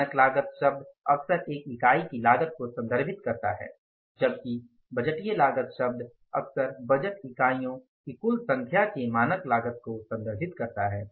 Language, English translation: Hindi, The term standard cost often refers to the cost of a single unit whereas the term budgeted cost often refers to the cost at standard of the total number of the budgeted units